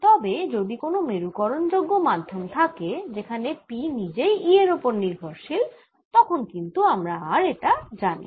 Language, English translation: Bengali, but if there is a polarizable medium where p itself depends on e, i do not know this